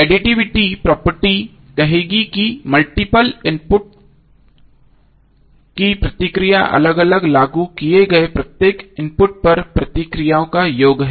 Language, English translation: Hindi, So additivity property will say that the response to a sum of inputs is the sum of responses to each input applied separately